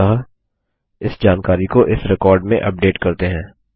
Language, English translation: Hindi, So let us, update this information into this record